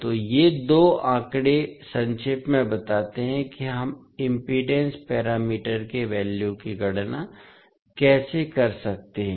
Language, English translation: Hindi, So, these two figures summarises about how we can calculate the values of impedance parameters